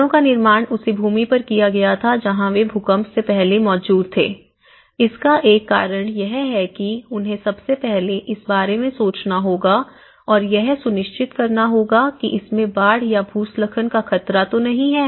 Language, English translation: Hindi, The houses were built on the same land on which they have existed before the earthquakes, one of the reason they have to think about this because first of all, they should make sure that this provided this is not at risk of flooding or landslides